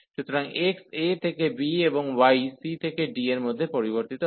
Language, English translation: Bengali, So, x varies from a to b and y varies from c to d